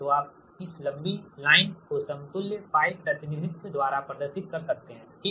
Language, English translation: Hindi, we want to refresh this one by equivalent pi model, right